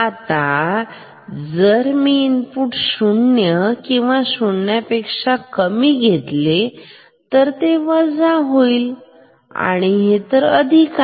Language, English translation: Marathi, Now, if I take input equal to less than 0; so this is negative, this is positive